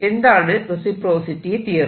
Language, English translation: Malayalam, apply reciprocity theorem